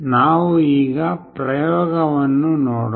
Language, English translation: Kannada, Let us look into the experiment